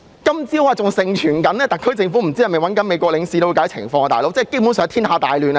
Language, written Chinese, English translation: Cantonese, 今天早上，還盛傳特區政府聯絡美國領事了解情況，感覺天下大亂了。, This morning it was widely rumoured that the SAR Government contacted the Consul General of the United States to seek clarifications . It is as if everything has been messed up